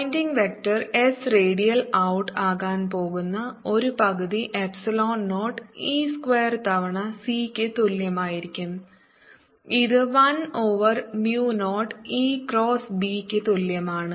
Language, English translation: Malayalam, the pointing vector s, which is going to be radially out, is going to be equal to one half epsilon zero e square times c, which is the same as one over mu zero e cross b